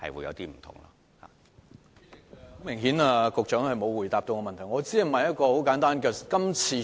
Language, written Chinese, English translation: Cantonese, 主席，很明顯局長並沒有回答我的補充質詢。, President it is apparent that the Secretary has not answered my supplementary question